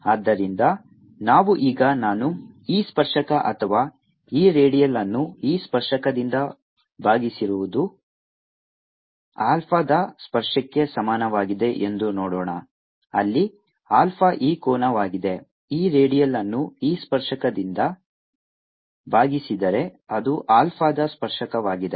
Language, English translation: Kannada, so let us see now i have e tangential or e redial divided by e tangential is equal to tangent of alpha, where alpha is this angel, e radial divided by e tangential tangent of alpha